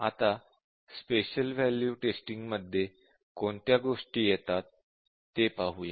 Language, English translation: Marathi, Now let us look at what is involved in special value testing